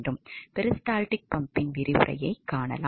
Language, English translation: Tamil, So, this is how a peristaltic pump works so